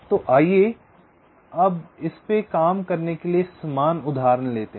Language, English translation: Hindi, so lets, lets take the same example to work it